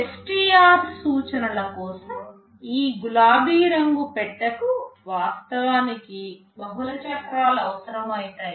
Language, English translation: Telugu, But for STR instruction what might happen that this pink colored box can actually require multiple cycles